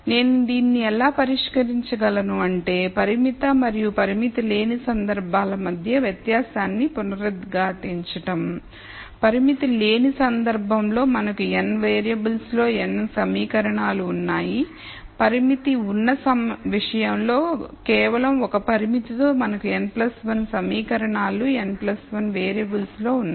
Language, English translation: Telugu, So, I can solve this, so to reiterate the di erence between the constrained and unconstrained case was, in the unconstrained case we had n equations in n variables, in the constraint case with just one constraint we have n plus 1 equations in n plus 1 variables